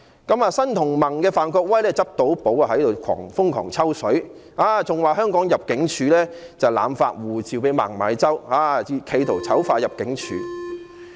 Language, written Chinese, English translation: Cantonese, 對此事件，新民主同盟的范國威議員便"執到寶"，瘋狂"抽水"，更說入境事務處濫發護照給孟晚舟，企圖醜化入境處。, As regards this incident Mr Gary FAN of the Neo Democrats acted like he had stumbled on a treasure and crazily piggybacked on it even suggesting the Immigration Department ImmD had arbitrarily issued passports to MENG Wanzhou in an attempt to defame ImmD